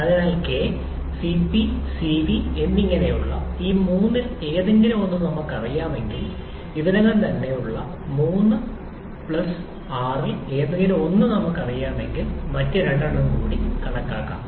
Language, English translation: Malayalam, Therefore, if we know any one of these three that is K, Cp and Cv, if we know just any one among the three plus R which is already there, then we can calculate the other two as well